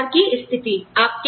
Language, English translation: Hindi, Labor market conditions